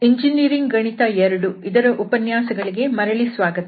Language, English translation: Kannada, Welcome back to lectures on Engineering Mathematics 2